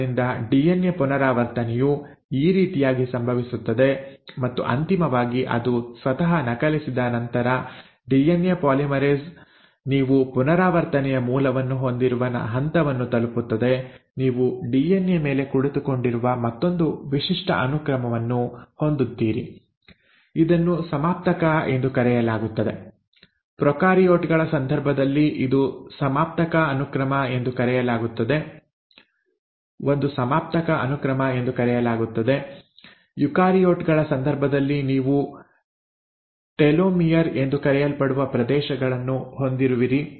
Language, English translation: Kannada, So this is how the DNA replication happens and then finally once it has copied itself the DNA polymerase will reach a point the way you have origin of replication, you will have another signature sequence sitting on the DNA which is called as the terminator, a terminator sequence in case of prokaryotes, in case of eukaryotes you have regions which are called as telomere